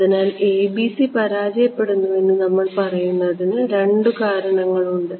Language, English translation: Malayalam, So, to summarize there are two reasons that we say that the ABC fail